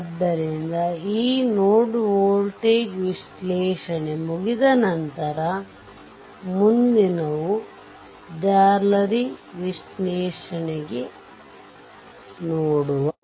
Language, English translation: Kannada, So, with this node voltage analysis is over, next will go for mesh analysis right